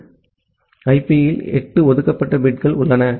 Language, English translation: Tamil, So, there are 8 reserved bits in IP